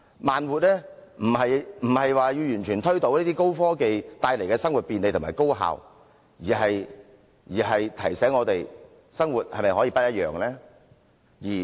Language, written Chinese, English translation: Cantonese, 慢活並非要完全推倒高科技帶來的生活便利和高效，而是提醒我們：生活是否可以不一樣呢？, Slow living does not completely overthrow the convenience and efficiency brought by high technology but reminds us to think if living can be different